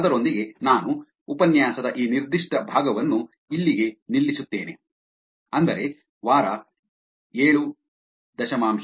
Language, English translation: Kannada, With that I will actually stop this particular part of the lecture, which is week 7